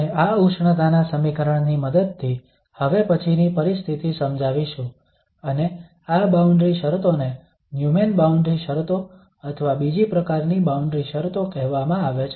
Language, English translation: Gujarati, The next situation we will explain again with the help of this heat equation and these boundary conditions are called Neumann boundary conditions or the Second Kind boundary conditions